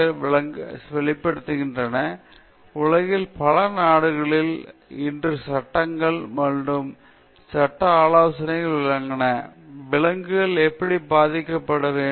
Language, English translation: Tamil, So, those things are articulated in the animal welfare act, and many countries in the world today have laws or legal suggestion, how animals have to be respected